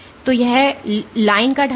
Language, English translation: Hindi, So, the slope of the line